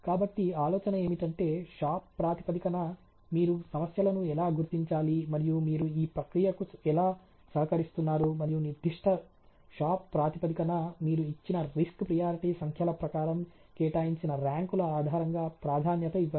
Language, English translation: Telugu, So, the idea is that more on shop bases you identify your own problems and how your contributed in to the process, and priorities based on the ranks for the risk priorities number that you are given on that particular shop bases for a paint shop